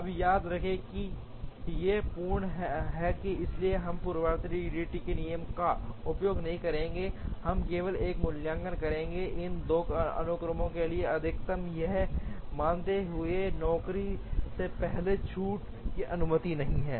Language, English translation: Hindi, Now, remember these are full sequences, so we will not use the preemptive EDD rule, we will simply evaluate the L max for these 2 sequences, assuming that job preemption is not allowed